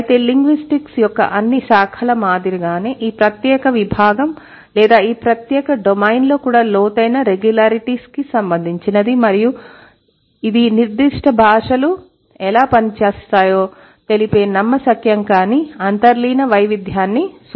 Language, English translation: Telugu, So, just like all branches of linguistics, this particular discipline or this particular domain is also concerned with the what, the deep regularities which underlie the incredible diversity in how particular languages work